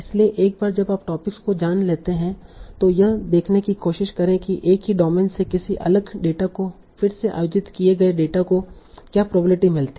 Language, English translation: Hindi, So once you have learned the topics, try to see what probability it gives to a held out data, some separate data, again from a same domain